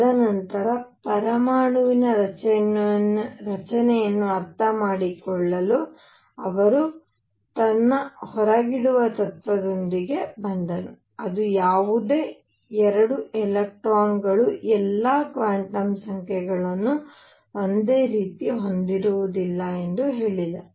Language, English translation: Kannada, And then to understand the structure of atom next all he came with his exclusion principle, which said no 2 electrons will have all quantum numbers the same